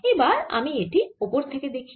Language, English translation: Bengali, so let me look at it from the top